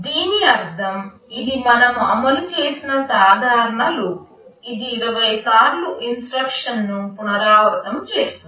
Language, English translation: Telugu, This means this is a simple loop we have implemented that will be repeating a set of instructions 20 times